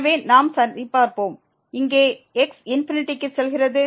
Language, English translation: Tamil, So, let us just check so, here goes to infinity